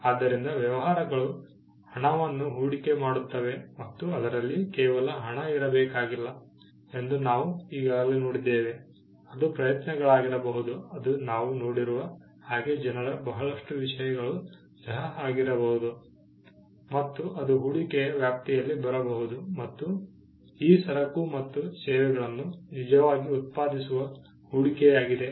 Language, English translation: Kannada, So, we had already seen that, businesses do invest money and in it need not be just money; it could be efforts, it could be people we saw a whole lot of things, that can fall within the ambit of investment and it is the investment that actually produces these goods and services